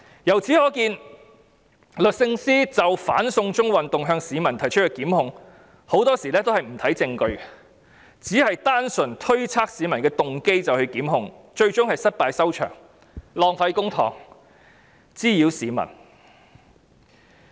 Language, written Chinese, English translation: Cantonese, 由此可見，律政司就"反送中"運動向市民提出的檢控，很多時候也不看證據，只單純推測市民的動機便作出檢控，最終是失敗收場，浪費公帑，滋擾市民。, Concerning the anti - extradition to China movement it is clear that many prosecutions against members of the public were initiated by the Department of Justice with no regard to evidence but made simply out of speculation on their motives . As a result it often ended up being the losing party wasting public money and causing nuisances to members of the public